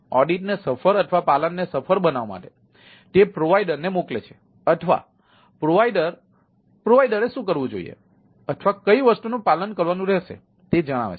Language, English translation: Gujarati, so making the audit successful or compliance successful whether it will be compliance of that, what, what the provider sends, or what the provider supposed to do it, or your compliance and things are like that